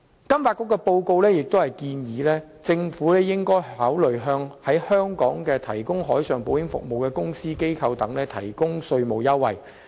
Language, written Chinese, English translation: Cantonese, 金發局的報告建議，政府應考慮向在香港提供海上保險服務的公司/機構等提供稅務優惠。, The FSDC report suggests the Government consider providing tax incentives to companiesorganizations providing marine insurance services in Hong Kong